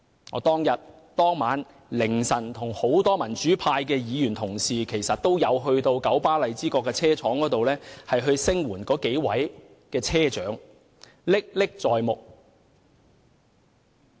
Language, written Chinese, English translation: Cantonese, 我當天凌晨與多位民主派議員到九巴荔枝角車廠聲援那幾位車長，事件歷歷在目。, In the small hours of the material day a number of pro - democracy Members and I went to KMBs Lai Chi Kok Depot to support the several bus drivers